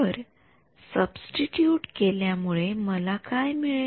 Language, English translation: Marathi, So, substituting to get; so, what do I get